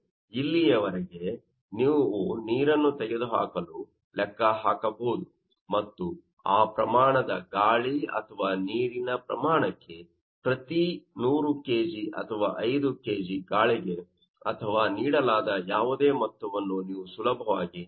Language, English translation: Kannada, Simply you can calculate up to this, you have to calculate what do that what a remove and for that for to be the amount of air or amount of water actually remove per 100 kg or 5 kg or whatever amount will be given for air that you can easily calculate